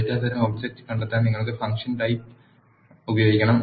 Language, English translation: Malayalam, To find the data type object you have to use type of function